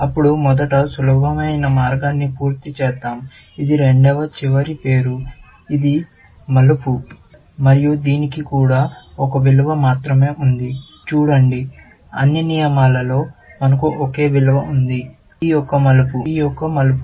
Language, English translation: Telugu, Then, let us finish up the easier path first, which is the second last name, which is turn, and it has also, only one value; see, in all the rules, we have only one value; turn of P; turn of P